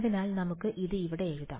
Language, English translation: Malayalam, So, let us just write this over let us write this over here